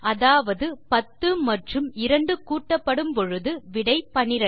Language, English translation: Tamil, So, 12 divided by 2 should give 6